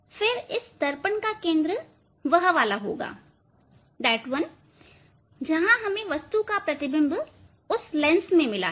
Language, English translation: Hindi, Then this mirror centre of the mirror will be that one, where, we got the image of the image from the lens of that object